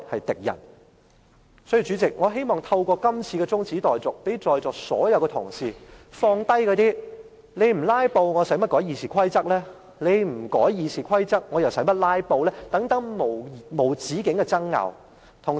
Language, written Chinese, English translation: Cantonese, 所以，代理主席，我希望透過這項中止待續議案，讓在座所有同事放下諸如"你們不'拉布'，我何須修改《議事規則》"，以及"你不修改《議事規則》，我又何須'拉布'"等永無止境的爭拗。, Deputy President I hope this motion for adjournment can make all Honourable colleagues who are present to stop engaging in endless disputes underpinned by such questions as why should I amend RoP if there are no filibusters why should I filibuster if RoP are not to be amended and so on